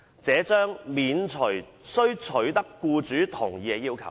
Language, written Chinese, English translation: Cantonese, 這將免除須取得僱主同意的要求。, This would remove the need to secure the consent of the employer